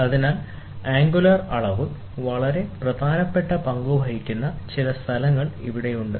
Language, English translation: Malayalam, So, here are some of the places, where this angular measurement plays a very very important role